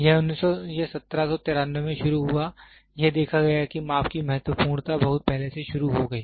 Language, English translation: Hindi, It started in 1793 seen it is measurements significant start at very early